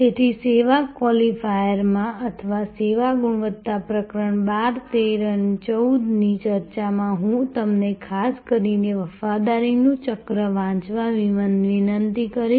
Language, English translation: Gujarati, So, in the service qualifier or in the discussion of service quality chapter 12, 13 and 14, I would also particularly request you to read the wheel of loyalty